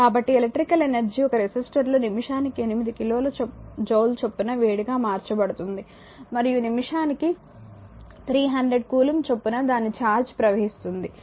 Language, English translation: Telugu, So, electrical energy is converted to heat at the rate of 8 kilo joule per minute in a resister and charge flowing through it at the rate of 300 coulomb per minute